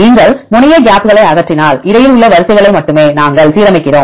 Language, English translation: Tamil, And if you remove the terminal gaps then we align only the sequences which is in between